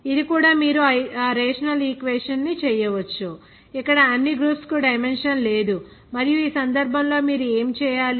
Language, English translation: Telugu, This also you can make that rational equation where all the groups not having dimension there and in this case what you have to do